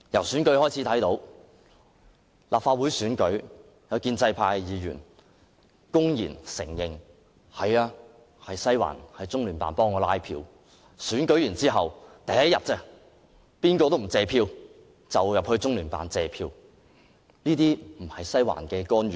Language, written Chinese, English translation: Cantonese, 選舉方面，在立法會選舉期間，有建制派議員公然承認中聯辦協助拉票，然後當選者在選舉翌日便到中聯辦謝票，難道這不是"西環"的干預嗎？, In respect of elections Members of the pro - establishment camp publicly admitted that the Liaison Office of the Central Peoples Government in HKSAR LOCPG had helped canvass votes during the Legislative Council election and the elected Members went to LOCPG the following day to express gratitude . Is this not an intervention by the Western District?